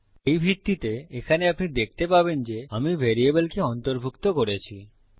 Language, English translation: Bengali, On this basis, you can see here that Ive incorporated a variable